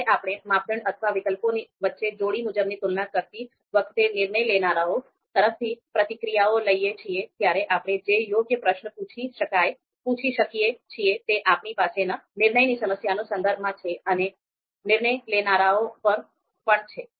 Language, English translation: Gujarati, So you know you know when we are looking to take responses from decision makers while doing these pairwise comparisons among criteria or among alternatives, then how what are going to be the appropriate question that we can ask, so that depends on the context of the decision problem that we have and also the decision makers